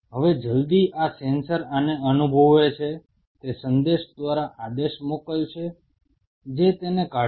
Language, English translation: Gujarati, Now as soon as this sensor senses this it will send a command signal which will remove this